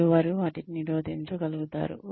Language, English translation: Telugu, And, they are able to prevent them